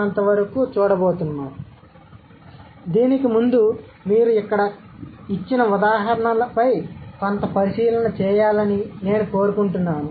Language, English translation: Telugu, So, before that, I just want you to have some, have a look on the data on the examples given over here